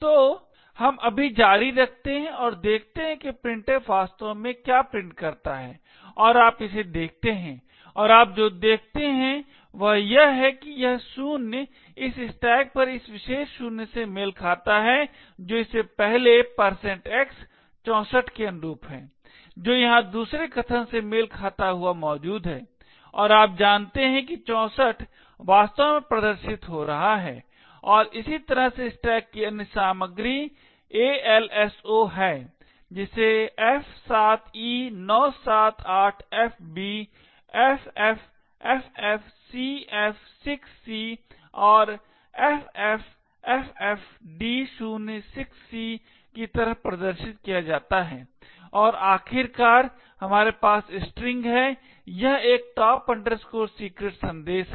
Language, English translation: Hindi, So let us just continue and see what printf actually prints and you look at it and what you see is that this 0 corresponds to this particular 0 on the stack that is corresponding to this first %x, 64 which is present here correspond to the second argument and you know that 64 is indeed getting displayed and similarly in a very similar way the other contents of the stack is also displayed like f7e978fb, ffffcf6c and ffffd06c and finally we having the string this is a top secret message